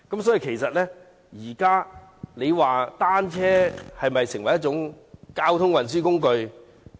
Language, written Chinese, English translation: Cantonese, 大家認為單車是否已成為交通運輸工具？, Do we think that bicycles have become a mode of transport?